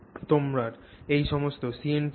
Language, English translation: Bengali, So, you have all the CNTs